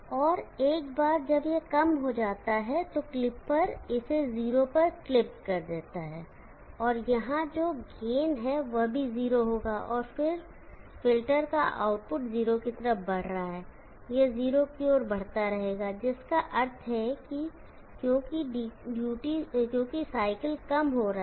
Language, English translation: Hindi, So once this becomes low the clipper has clipped it 0, the gain here that would also be 0, and the output of the filter is moving towards 0, it will keep on moving towards 0, which means the duty cycle is decreasing